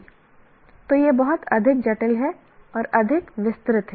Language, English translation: Hindi, So you know this is much more complicated, much more detailed